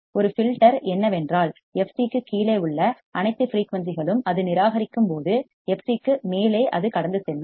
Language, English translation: Tamil, a filter is that all the frequencies below f c it will reject while above f c it will pass